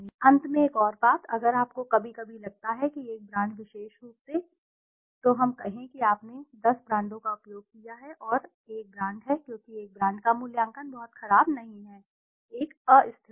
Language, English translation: Hindi, Finally one more thing, if you sometimes feel that one brand particularly, let us say you have used 10 brands and one brand is because of one brand the assessment is not being very poor, there is a instability